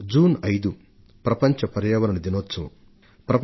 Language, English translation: Telugu, 5th June is World Environment Day